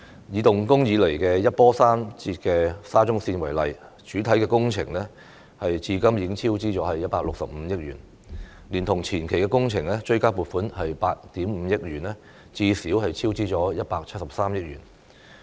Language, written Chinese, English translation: Cantonese, 以動工以來一波三折的沙中綫為例，主體工程至今已超支165億元，連同前期工程追加撥款8億 5,000 萬元，最少超支173億元。, In the case of the Shatin to Central Link project which has seen twists and turns since the commencement of its construction a cost overrun of some 16.5 billion has been recorded for the main works and when the supplementary provisions of 850 million for the advance works are taken into account a cost overrun would reach at least 17.3 billion